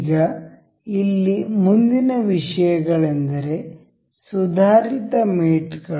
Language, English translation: Kannada, Now, the next things here is advanced mates